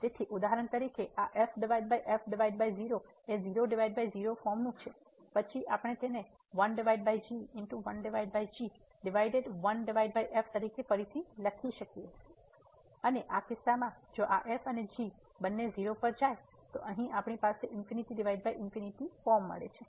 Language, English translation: Gujarati, So, for example, this over 0 is of the form 0 by 0 then we can rewrite it as over divided by 1 over and in this case if this and both goes to 0 here we have the infinity by infinity form